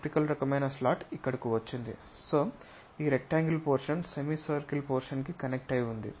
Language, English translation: Telugu, So, there is a rectangular portion connected by this semicircle portion